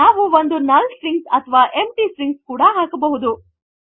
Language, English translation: Kannada, So we can even put a null string or an empty string